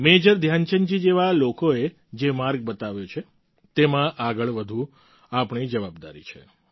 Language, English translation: Gujarati, On the course charted by people such as Major Dhyanchand ji we have to move forward…it's our responsibility